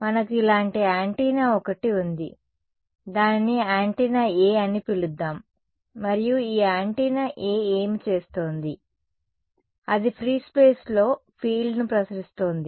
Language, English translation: Telugu, So, we had one antenna like this let us call it antenna A ok, and what was this antenna A doing, it was radiating a field in free space